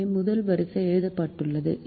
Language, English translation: Tamil, so the first row is written